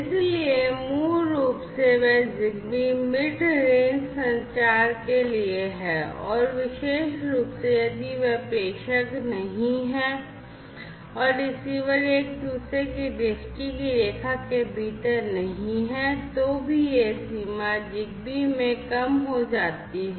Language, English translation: Hindi, So, basically they Zigbee is for mid range communication and particularly if they are not the sender and the receiver are not within the line of sight of each other then even this range reduces in Zigbee